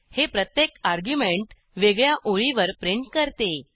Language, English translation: Marathi, However, this time each argument will be printed on separate line